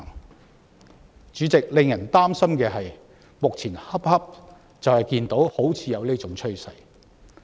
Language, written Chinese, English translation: Cantonese, 代理主席，令人擔心的是，目前恰恰就出現這種趨勢。, Deputy President it is worrisome that such a tendency is taking shape right now